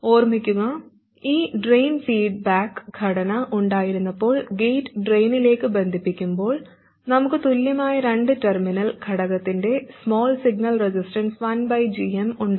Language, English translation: Malayalam, Remember when we had this drain feedback structure when the gate is connected to the drain the small signal resistance of the decvalent two terminal element is 1 by GM